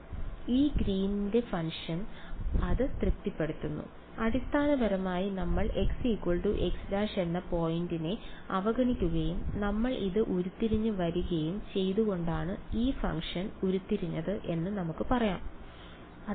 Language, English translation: Malayalam, So, this Green’s function it satisfies it right, can we say that the way we derived this function was by looking at basically we ignore the point x is equal to x prime and we derived this right